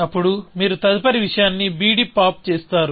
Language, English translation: Telugu, Then, you pop the next thing out on b d